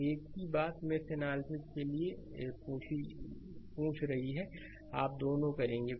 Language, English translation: Hindi, And same thing is asking for mesh analysis right, both you will do